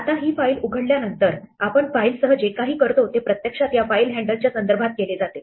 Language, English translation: Marathi, Now, having opened this file handle everything we do with the file is actually done with respect to this file handle